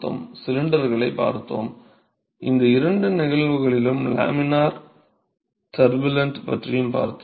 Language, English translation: Tamil, We looked at cylinders and we also looked at laminar turbulent in both these cases